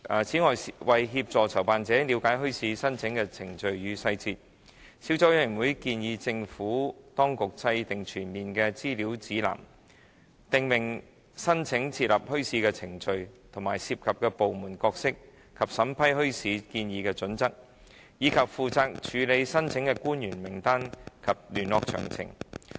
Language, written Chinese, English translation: Cantonese, 此外，為協助籌辦者了解墟市申請的程序與細節，小組委員會建議政府當局制訂全面的資料指南，訂明申請設立墟市的程序，涉及部門的角色及其審批墟市建議的準則，以及負責處理墟市申請的官員名單及聯絡詳情。, Moreover to help organizers understand the application procedures and details the Subcommittee recommends that the Administration should develop a comprehensive information guide setting out the application procedures for establishment of bazaars the roles of various departments involved and their criteria for vetting bazaar proposals as well as the names and contact details of the officials responsible for handling bazaar applications